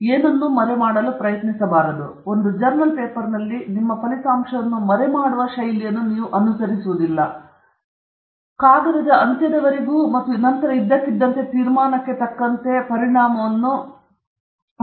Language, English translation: Kannada, You don’t try to hide anything; in a journal paper, you do not follow the style of hiding your result, and then all the way to the end of the paper, and then suddenly springing the result towards the conclusion